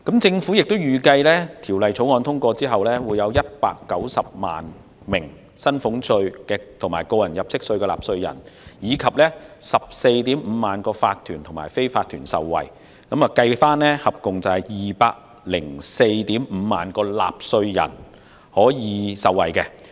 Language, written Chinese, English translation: Cantonese, 政府亦預計當《條例草案》通過後，將會有190萬名薪俸稅/個人入息課稅的納稅人及 145,000 個法團/非法團受惠，即可惠及合共 2,045 000名納稅人。, The Government also anticipated that after the passage of the Bill some 1 900 000 taxpayers of salaries taxtax under personal assessment and also 145 000 tax - paying corporationsunincorporated businesses could benefit meaning that a total of 2 045 000 taxpayers could benefit